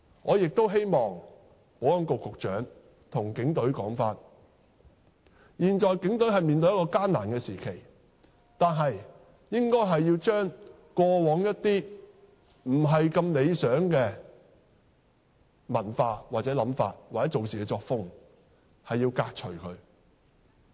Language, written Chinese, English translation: Cantonese, 我亦希望保安局局長向警隊說，現在警隊面對艱難時期，但也應把過往不理想的文化、想法或處事作風革除。, I hope the Secretary for Security will tell the Police that while the Police are in a difficult time efforts should be made to rid the Police of the undesirable culture mindset or style of work